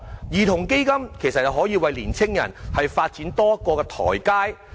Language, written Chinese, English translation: Cantonese, 兒童基金可以為年青人發展提供多一個台階。, A child fund can offer an additional platform for youth development